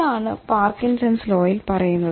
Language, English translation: Malayalam, What is this Parkinson's law